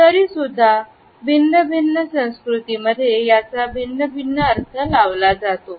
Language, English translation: Marathi, Even though, this gesture has different interpretations in different cultures